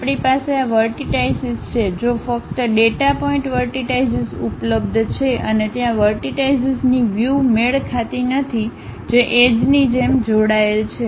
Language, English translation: Gujarati, We have these are the vertices, in case only these data points vertices are available and there is a mismatch in terms of vertices which are connected with each other like edges